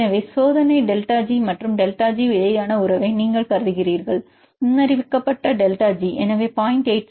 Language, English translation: Tamil, So, you consider the relationship between experimental delta G and the predicted delta G